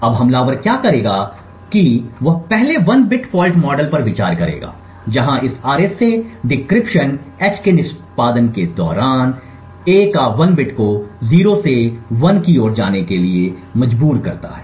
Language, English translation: Hindi, Now what the attacker would do is he would first consider a bit fault model where during the execution of this RSA decryption h forces 1 bit of a to go from 0 to 1 right